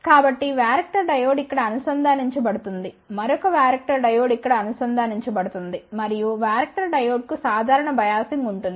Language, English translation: Telugu, So, varactor diode will be connected here another varactor diode will be connected here and there will be a common biasing to the varactor diode